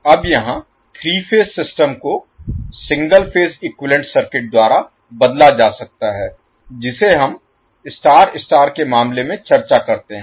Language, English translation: Hindi, Now the 3 phase system here can be replaced by single phase equivalent circuit which we discuss in case of star star case